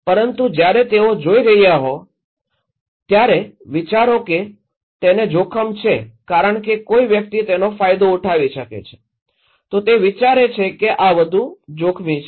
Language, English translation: Gujarati, But when they are seeing, think that he is at risk because someone is benefitting out of it, he thinks this is more risky